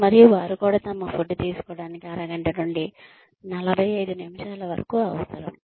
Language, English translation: Telugu, And, they also need, about half an hour to 45 minutes to have their food